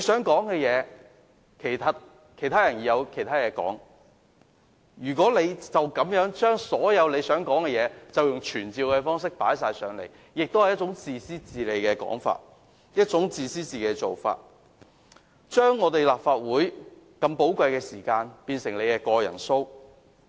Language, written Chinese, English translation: Cantonese, 每位議員也有很多事情想提出，朱議員使用傳召方式來討論自己想討論的事項，其實是自私自利的做法，是要把立法會的寶貴時間變成他的個人表演。, Every one of us Members wishes to raise a number of questions . By means of summoning Mr CHU discusses the issues he personally wants to discuss . This is selfish indeed